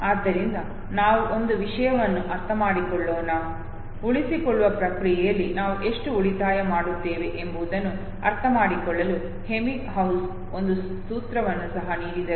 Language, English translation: Kannada, So let us understand one thing, Ebbinghaus also gave a formula to understand how much we save in the process of retention, okay